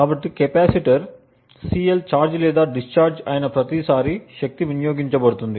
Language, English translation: Telugu, So power is consumed every time the capacitor CL either charges or discharges